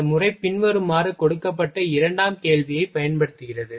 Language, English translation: Tamil, This methodology makes use of secondary question given as follows